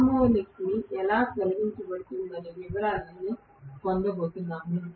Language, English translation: Telugu, I am not going to get into the details of how the harmonics are eliminated